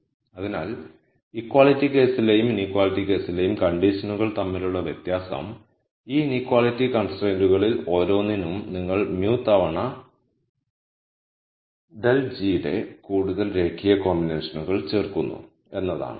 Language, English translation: Malayalam, So, the difference between this condition in the equality and inequality case is that for every one of these inequality constraints you add more linear combinations of mu times delta g